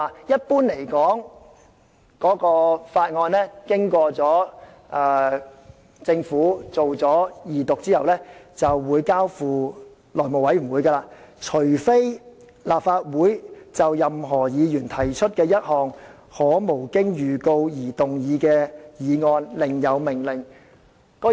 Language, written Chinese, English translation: Cantonese, 一般而言，法案經政府二讀後，便會交付內務委員會，除非立法會就任何議員提出的一項可無經預告而動議的議案另有命令。, Generally speaking a Bill will be referred to the House Committee after the Government has moved its Second Reading unless the Council on a motion which may be moved without notice by any Member otherwise orders